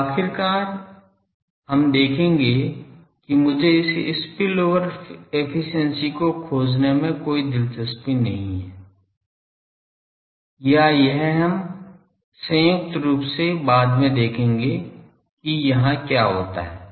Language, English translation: Hindi, Now, ultimately we will see that I am not interested to find simply this spillover efficiency or it is we will later see that jointly what happens here